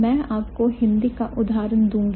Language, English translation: Hindi, So, I'll give you a Hindi example